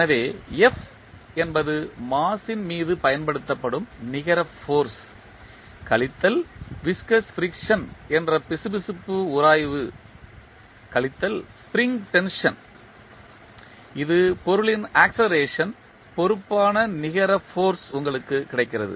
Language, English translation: Tamil, So, f that is the net, that is the force applied on the mass minus the viscous friction minus spring tension you get the net force, which is responsible for acceleration of the object